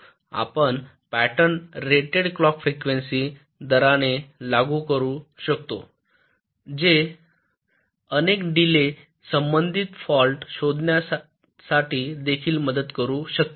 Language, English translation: Marathi, you can apply the patterns at the rated clock frequency, which can also help in detecting many delay related falls